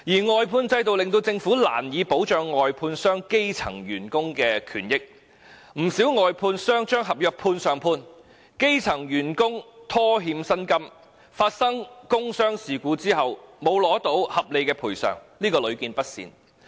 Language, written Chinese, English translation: Cantonese, 外判制度令政府難以保障外判商聘用的基層員工的權益，不少外判商把合約"判上判"，基層員工被拖欠薪金，發生工傷事故後不獲合理賠償等問題屢見不鮮。, The outsourcing system has rendered it difficult for the Government to protect the rights and benefits of grass roots workers employed by contractors many of whom engage in subcontracting . It is commonplace that grass - roots workers are owed payment of wages denied reasonable compensation after work injuries etc